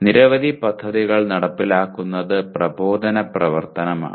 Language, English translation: Malayalam, Executing many projects is instructional activity